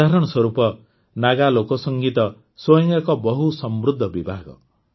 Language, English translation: Odia, For example, Naga folk music is a very rich genre in itself